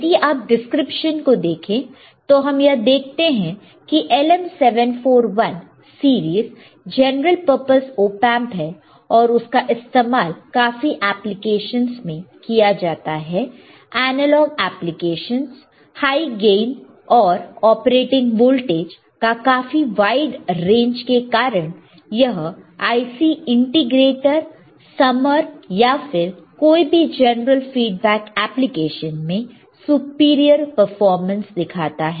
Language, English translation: Hindi, Now, if you look at the description we look at the description what we see that LM 741 series are general purpose op amp it is intended for wide range of applications analogue applications high gain and wide range of operating voltage provides superior performance as an integrator summer or as a general feedback applications right